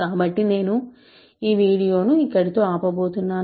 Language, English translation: Telugu, So, I am going to stop this video here